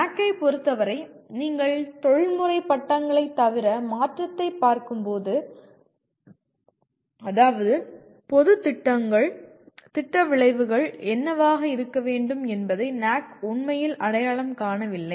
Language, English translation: Tamil, In case of NAAC, when you are looking at other than professional degrees, like what we call as general programs, NAAC really does not identify what should be the program outcomes